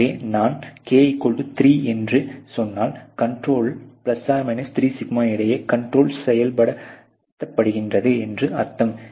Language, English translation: Tamil, So, if I were to say to k=3, we are talking a control of you know ±3σ between which the control is being executed ok